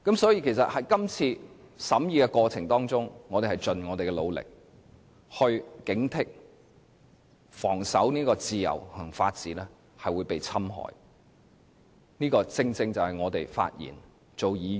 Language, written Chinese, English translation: Cantonese, 所以，在今次審議過程中，我們已盡力警惕，防守自由和法治會被侵害，這個正正是我們發言和當議員的原因。, In the course of deliberation of the Bill we have already put on full vigilance against the eroding of the freedom and the rule of law and this is the very reason why we have to speak on the Bill and to serve as Members